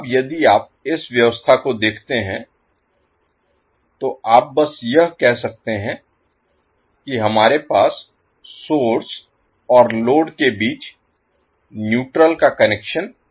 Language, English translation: Hindi, Now if you see this particular arrangement, you can simply say that that we do not have neutral connection between the source as well as load